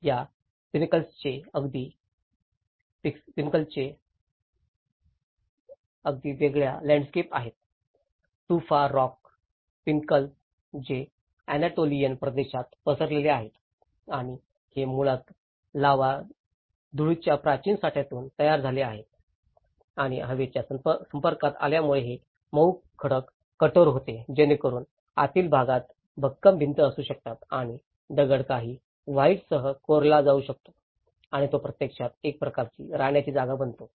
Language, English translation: Marathi, There is a very different landscapes of these pinnacles, the tufa rock pinnacles which are spreaded over in the Anatolian region and these are basically formed from the ancient deposits of the lava dust and because of the exposure to the air this soft rock hardens so that the interiors can have the firm walls and the stone can be carved with some voids and which actually becomes a kind of living spaces